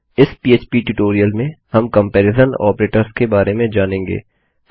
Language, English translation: Hindi, In this PHP tutorial we will learn about Comparison Operators